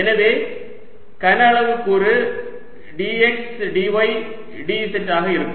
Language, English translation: Tamil, so volume element is going to be d x, d, y, d z